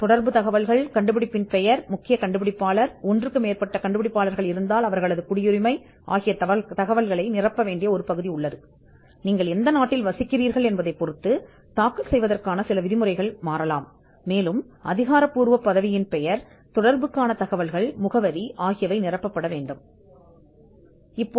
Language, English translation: Tamil, So, there is part a which has the contact information, name of the invention, main inventor, if there are multiple inventors they have to be mentioned nationality, because your residents can determine certain rules of filing, official designation, contact information and address